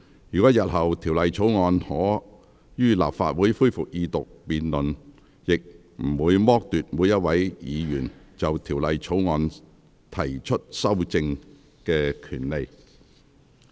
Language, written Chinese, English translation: Cantonese, 若日後《條例草案》可於立法會恢復二讀辯論，亦不會剝奪每一位議員就《條例草案》提出修正案的權利。, If the Second Reading debate on the Bill is allowed to resume in the Legislative Council in the future no Members would be denied of their right to propose amendments